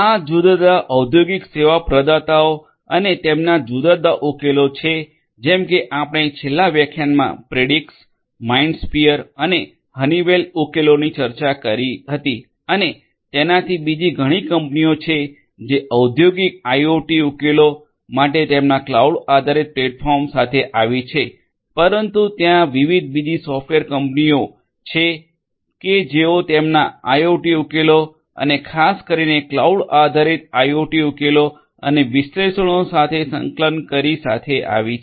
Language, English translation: Gujarati, These are the different industrial service providers and their different solutions like Predix, MindSphere and the Honeywell solution we discussed in the last lecture and so there any many others there are many other company companies which have come up with their cloud based platforms for industrial IoT solutions, but there are different other software development firms who have also come up with their IoT solutions and particularly cloud based IoT solutions and their integration with analytics right